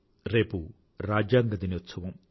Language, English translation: Telugu, Yes, tomorrow is the Constitution Day